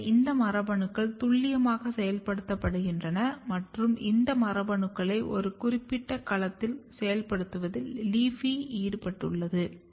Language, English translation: Tamil, So, these genes are very specifically getting activated and LEAFY is involved in activating these genes in a very specific domain